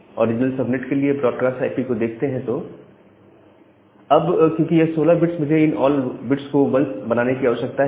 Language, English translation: Hindi, Now, what is the broadcast IP for the original subnet, so the broadcast IP for this original subnet is again, because this is a 16 bit, so I need to make all these bits as 1